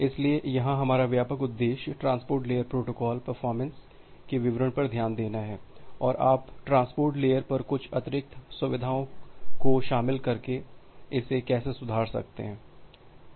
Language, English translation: Hindi, So, here our broad objective would be look into the details of transport layer protocol performance and how you can improve it by incorporated incorporating certain additional features over the transport layer